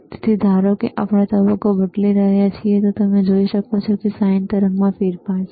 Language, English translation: Gujarati, So, suppose we are changing the phase, you can see that there is a change in the sine wave